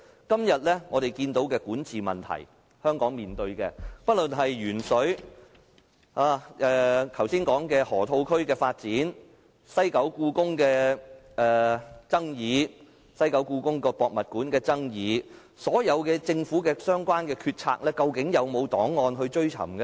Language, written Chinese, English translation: Cantonese, 今天我們看到香港面對的管治問題，不論是鉛水、剛才說的河套區發展、西九香港故宮文化博物館的爭議等，又或所有政府的相關決策，究竟有沒有檔案可以追尋呢？, Regarding the problem of governance that Hong Kong faces nowadays whether in the incident of excessive lead in drinking water the development of the Loop I mentioned just now or the controversies surrounding the Hong Kong Palace Museum in the West Kowloon Cultural District or the relevant polices of the Government are there records for us to trace?